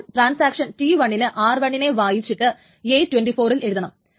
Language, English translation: Malayalam, So, Transaction T1 wants to read R1 and write to A4